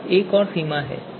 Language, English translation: Hindi, So this is another limitation